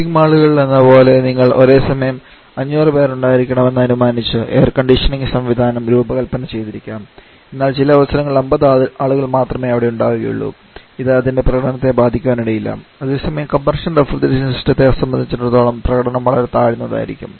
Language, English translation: Malayalam, Like in shopping mall you may have designed air conditioning systems assuming that there will be 500 persons inside simultaneously, but if there are 50 persons performance may not be affected whereas for combustion reservation system performance will be very much inferior